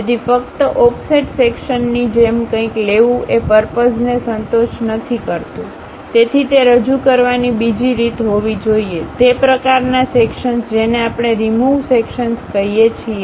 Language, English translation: Gujarati, So, just taking something like offset section does not serve the purpose; so there should be another way of representing that, that kind of sections what we call removed sections